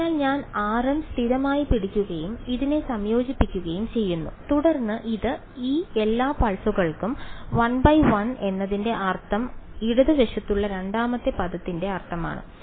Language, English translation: Malayalam, So, I am holding r m constant and integrating over this then this then this over all of these pulses 1 by 1 that is the meaning of the left hand side the second term over here